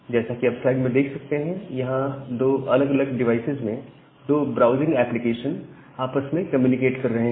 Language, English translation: Hindi, So, here you can see that these two browsing applications at the two devices they are communicating with each other